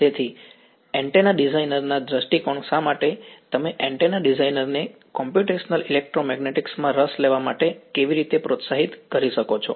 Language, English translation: Gujarati, So, from an antenna designer point of view why would, how can you motivate an antenna designer to get interested in computational electromagnetics